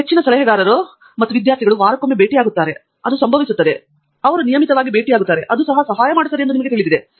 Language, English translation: Kannada, You know, for instance, most advisors and students meet once a week right, that happens, and they meet regularly, I think that helps, it helps